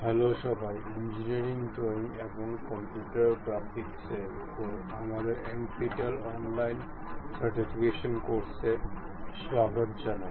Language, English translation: Bengali, ) Hello everyone, welcome to our NPTEL online certification courses on Engineering Drawing and Computer Graphics